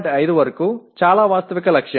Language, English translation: Telugu, 5 is a quite a realistic target